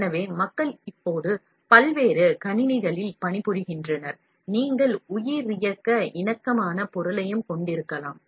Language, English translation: Tamil, So, people are now working on various systems, you can also have biocompatible material